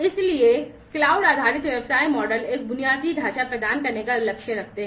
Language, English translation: Hindi, So, cloud based business models aim at providing an infrastructure